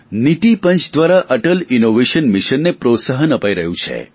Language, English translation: Gujarati, This Mission is being promoted by the Niti Aayog